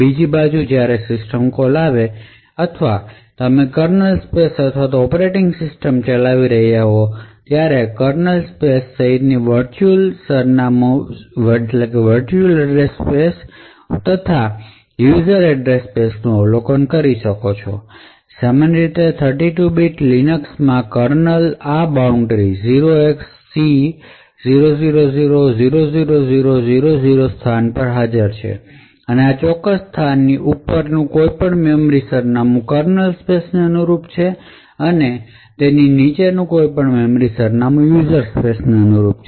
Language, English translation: Gujarati, On the other hand when a system call is invoked or you are running in the kernel space or in the operating system the entire virtual address space including that of the kernel space plus that of the user space is observable, typically in a 32 bit Linux kernel this boundary is present at a location 0xC0000000, any memory address above this particular location corresponds to a kernel space and any memory address below this location corresponds to that of a user space